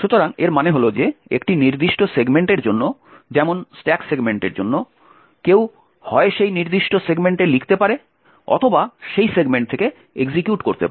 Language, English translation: Bengali, So, what this means is that for a particular segment for example the stack segment one can either write to that particular segment or execute from that segment